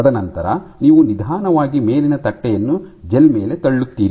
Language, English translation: Kannada, And then you slowly push the top plate on to the gel